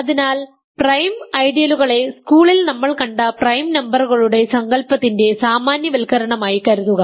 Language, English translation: Malayalam, So, think of prime ideals as generalizations of the notion of prime numbers that we have seen in school ok